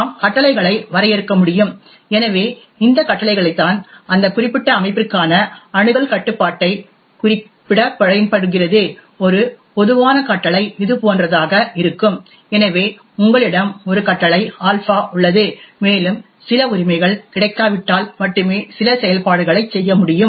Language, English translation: Tamil, We can define commands, so this command is what is used to specify the access control for that particular system, a typical command would look something like this, so you have a command alpha and unless certain rights are available only then can certain operations be performed